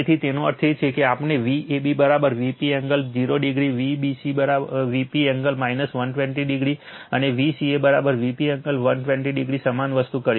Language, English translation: Gujarati, So, that means, V ab is equal to same thing we have done V p angle 0 degree, V bc V p angle minus 120 degree and V ca is equal to V p angle 120 degree